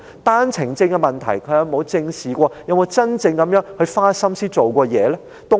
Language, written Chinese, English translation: Cantonese, 單程證問題，他有否正視過及真正花心思做過甚麼呢？, Has he ever squarely addressed the problems with one - way permits and really put his heart and soul into doing something about them?